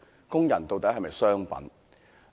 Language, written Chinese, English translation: Cantonese, 工人究竟是否商品？, Are workers merchandise?